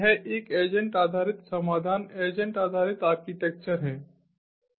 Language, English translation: Hindi, its an agent based solution, agent based architecture